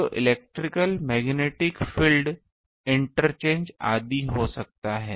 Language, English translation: Hindi, So, electrical magnetic field can be interchange etcetera